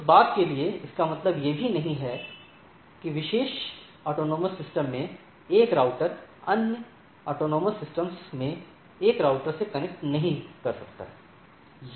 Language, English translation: Hindi, For that matter it also does not mean, that a router in particular autonomous system cannot connect to a routers in the other autonomous system